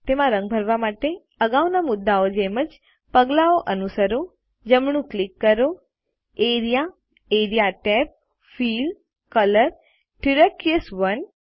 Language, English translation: Gujarati, To color them, lets follow the same steps as in the previous ones right click, area, area tab, fill, color, turquoise 1